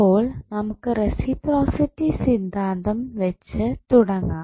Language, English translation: Malayalam, So, let us start with the reciprocity theorem